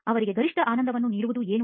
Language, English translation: Kannada, What would give them the maximum enjoyment